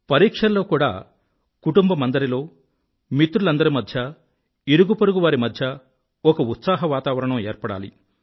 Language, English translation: Telugu, Hence, during examinations too, an atmosphere of festivity should be created in the whole family, amongst friends and around the neighbourhood